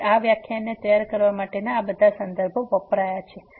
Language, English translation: Gujarati, So, these are the references used for preparing this lecture